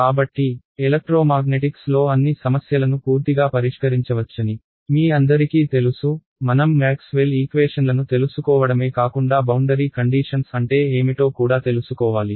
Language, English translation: Telugu, So, all of you know that in the electromagnetics problem to solve it fully; I need to not just know the equations of Maxwell, but also what are the conditions on the boundary ok